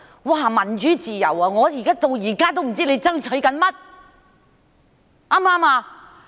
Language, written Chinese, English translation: Cantonese, 提到民主自由，我現在仍不知道他們在爭取甚麼。, Speaking of democracy and freedom even now I still do not know what they are fighting for